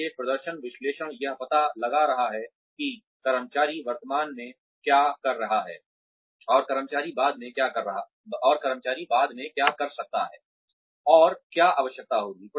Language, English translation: Hindi, So, performance analysis is finding out, what the employee is currently doing, and what the employee can do later and what will be required